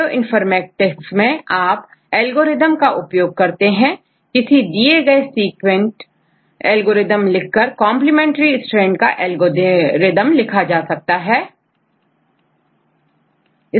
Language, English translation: Hindi, Now in the Bioinformatics you can write algorithms we have were any given sequence you can write the algorithm to get the complementary strand right how to write the algorithm